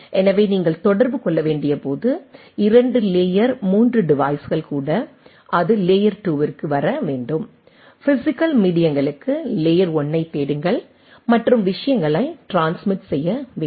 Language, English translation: Tamil, So, even 2 layer 3 devices when you have to communicate, it has to come down to layer 2, look for the layer 1 for the physical media and get the things transmitted right